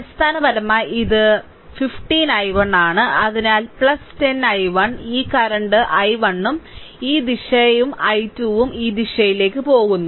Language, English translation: Malayalam, So, basically 15 i 1, so plus 10 i 1 then plus this current is i 1 this direction and i 2 is going this direction